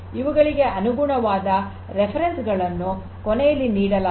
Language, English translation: Kannada, The corresponding references are given to you at the end over here